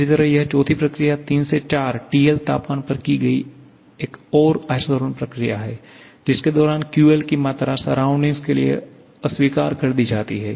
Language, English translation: Hindi, Similarly, this fourth process 3 to 4 is another isothermal process performed at the temperature TL during which QL amount of heat is rejected to the surrounding